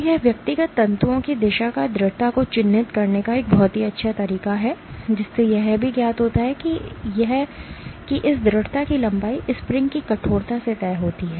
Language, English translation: Hindi, So, this would be a very nice way of characterizing the persistence of the directionality of individual fibers, what is also known is this persistence length is dictated by the stiffness of the spring